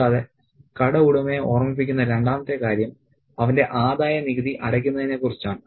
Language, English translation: Malayalam, And the second thing that he reminds the shop owner is about his income tax payment